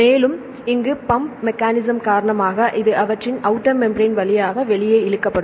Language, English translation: Tamil, And goes here and due to the pumping mechanism, this will be pulled out through their outer membrane to the outside